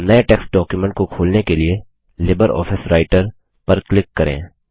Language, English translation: Hindi, Let us now click on LibreOffice Writer to open a new text document